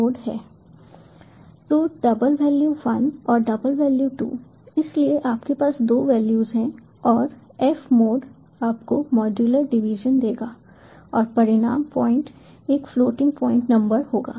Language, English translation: Hindi, so you have two values and f mod will give you the modular division and the result point will be a floating point number